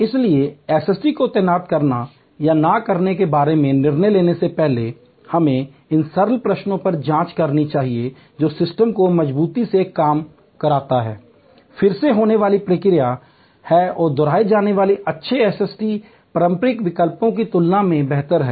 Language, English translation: Hindi, Before therefore, deciding on whether to deploy or not deploy SST we should check on these simple questions that does the system work reliably is the response going to be again and again repetitively good is the SST better than interpersonal alternatives